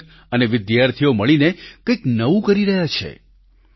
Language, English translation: Gujarati, The students and teachers are collaborating to do something new